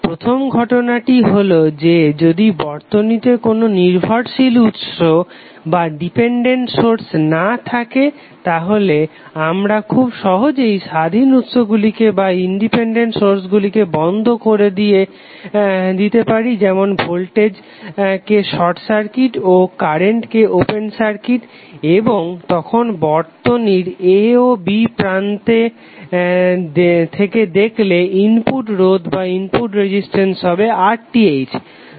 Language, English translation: Bengali, First case is that if the network has no dependent sources we can simply turn off all the independent sources like we can make the voltage as short circuit and current source as open circuit and then RTh is the input resistance of the network looking between terminal a and b